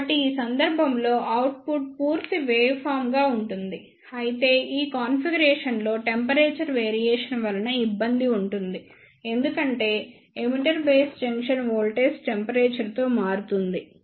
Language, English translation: Telugu, So, in this case the output will be a complete waveform, but this configurations surfers with the temperature variation because the emitter base junction voltage varies with temperature